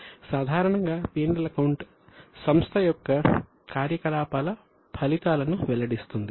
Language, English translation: Telugu, Now P&L account discloses the results of operations of the entity